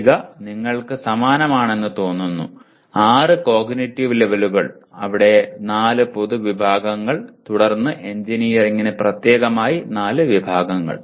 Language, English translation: Malayalam, The table looks like you have the same, 6 cognitive levels, 4 general categories here and then 4 category specific to engineering